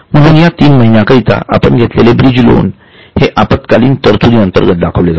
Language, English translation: Marathi, That bridge loan, which is three month loan, so it is shown as a short term provision